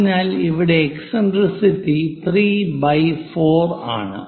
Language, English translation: Malayalam, So, eccentricity here 3 by 4